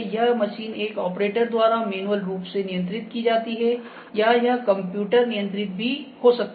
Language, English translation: Hindi, This machine maybe manually controlled by an operator or it may be computer control